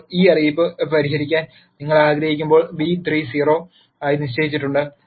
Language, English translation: Malayalam, Now, when you want to solve this notice that b 3 is xed to be 0